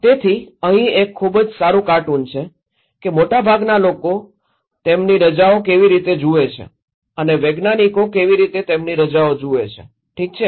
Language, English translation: Gujarati, So, here is a very good cartoon, that how most people view their vacations and how scientists view their vacations, okay